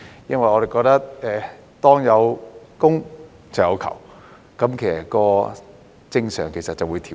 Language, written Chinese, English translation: Cantonese, 因為我們認為當有供，就有求，正常就會出現調節。, That is because we opine that where there is demand there will be supply and the market will normally adjust itself